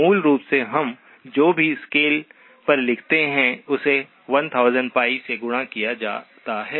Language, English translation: Hindi, Basically whatever we write on the scale as multiplied by 1000pi